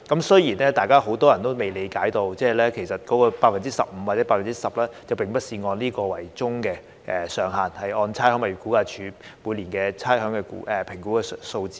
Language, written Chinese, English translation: Cantonese, 雖然很多人都不理解該上限其實並非硬性規定為 15% 或 10%， 亦要視乎差餉物業估價署半年差餉估評的數字。, Many people fail to understand that actually the cap will not be fixed at 15 % or 10 % and it will also take into account the half - year valuation figures published by the Rating and Valuation Department